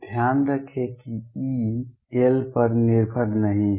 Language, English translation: Hindi, Keep in mind that E does not depend on l